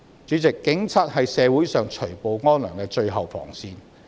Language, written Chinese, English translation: Cantonese, 主席，警察是社會除暴安良的最後防線。, President the Police are the ultimate defence in society for weeding out the bad and protecting the good